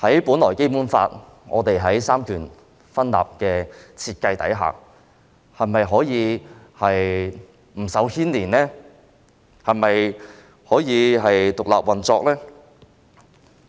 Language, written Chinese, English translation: Cantonese, 本來在《基本法》下有三權分立的設定，但法庭是否不受干預、獨立運作呢？, While the setting of separation of powers is supposedly available under the Basic Law will the Court really be free from any interference and operate independently?